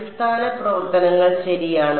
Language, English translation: Malayalam, Basis functions right